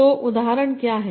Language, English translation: Hindi, So, what is example